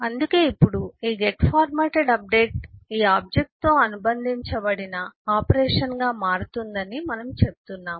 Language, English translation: Telugu, so that’s why we are saying that now the get formatted update becomes an operation associated with this object